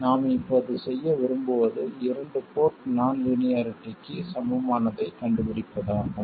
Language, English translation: Tamil, What we want to do now is to figure out what is the equivalent of a two port non linearity